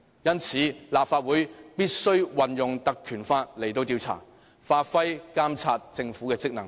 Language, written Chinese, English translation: Cantonese, 因此，立法會必須引用《條例》進行調查，發揮監察政府的職能。, Therefore the Legislative Council must invoke the Ordinance for investigation and fulfil its function in monitoring the Government